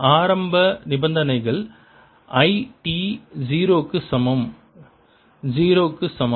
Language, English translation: Tamil, the initial conditions are: i t equal to zero is equal to zero